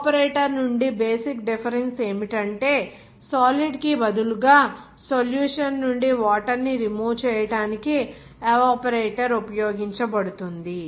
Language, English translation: Telugu, The basic difference from the evaporator is that the evaporator is used to remove water from the solution instead of solid